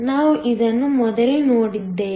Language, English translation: Kannada, We saw this before